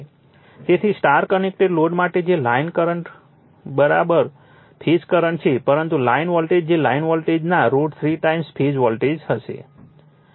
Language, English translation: Gujarati, So, for a star connected load, line I told you earlier line current is equal to phase current, but your line voltage right line voltage will be root 3 times phase voltage